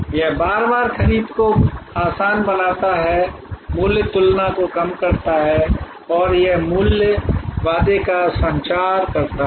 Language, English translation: Hindi, It makes repeat purchase easier, reduces price comparison and it communicates the value, the promise